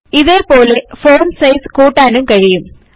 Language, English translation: Malayalam, The Font Size can be increased in the same way